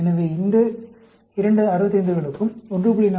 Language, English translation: Tamil, So, these two 65s will get 1